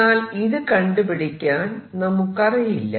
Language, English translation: Malayalam, However, we do not know how to calculate it